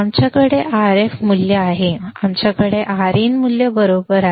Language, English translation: Marathi, We have Rf value; we have Rin value right